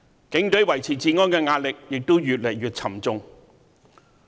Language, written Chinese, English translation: Cantonese, 警隊維持治安的壓力，越來越沉重。, The pressure is mounting on the Police Force as they are duty - bound to maintain law and order